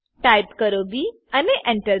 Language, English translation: Gujarati, Type b and press Enter